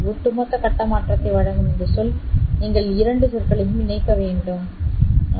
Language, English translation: Tamil, This term which gives you an overall phase shift, you have to combine both terms, you will get E to the power J, pi v1 of t plus v2 of t divided by 2 v pi